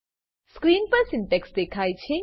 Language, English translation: Gujarati, The syntax is as displayed on the screen